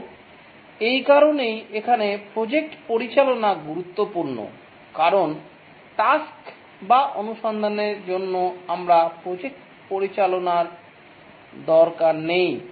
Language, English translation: Bengali, And that's the reason why project management is important here because for the tasks or the exploration you don't need project management